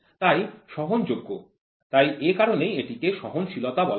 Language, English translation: Bengali, I tolerate the variations and that is why it is called as tolerance